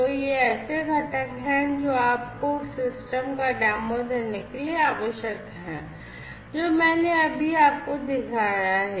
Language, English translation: Hindi, So, these are the components that are required in order to give you a demo of the system that I have just shown you